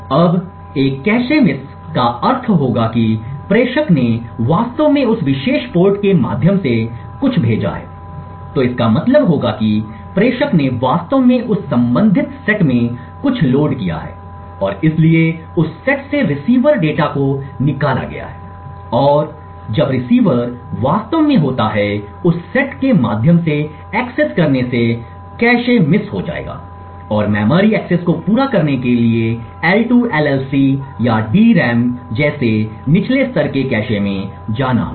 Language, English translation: Hindi, Now a cache miss would imply that the sender has actually sent something through that particular port, so it would mean that the sender has actually loaded something in that corresponding set and therefore has evicted the receiver data from that set and therefore when the receiver is actually accessing through that set it would result in a cache miss and memory access would require to go to a lower level cache like the L2 LLC or the DRAM to complete the memory access